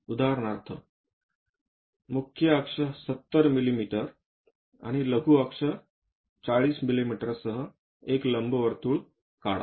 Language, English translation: Marathi, For example, draw an ellipse with major axis 70 mm and minor axis 40 mm